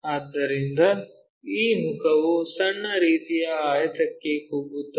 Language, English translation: Kannada, So, this face shrunk to the small kind of rectangle